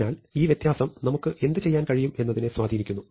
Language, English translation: Malayalam, So, this distinction has an impact on what we can do